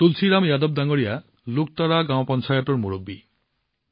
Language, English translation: Assamese, Tulsiram Yadav ji is the Pradhan of Luktara Gram Panchayat